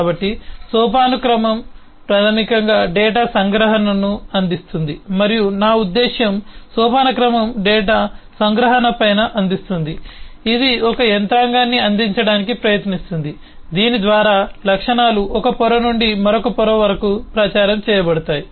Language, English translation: Telugu, so hierarchy basically provides data abstraction and i mean hierarchy provides on top of the data abstraction, it tries to provide a mechanism by which the properties can propagate from one layer to the other